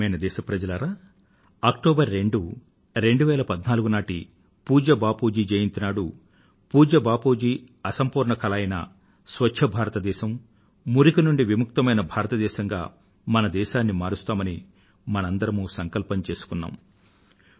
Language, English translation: Telugu, My dear countrymen, all of us made a resolve on Bapu's birth anniversary on October 2, 2014 to take forward Bapu's unfinished task of building a 'Clean India' and 'a filth free India'